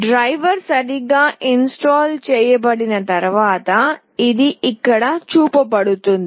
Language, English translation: Telugu, Once the diver is correctly installed this will be shown there